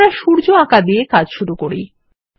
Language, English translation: Bengali, Let us begin by drawing the sun